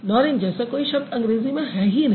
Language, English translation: Hindi, There is nothing, there is no word called norange in English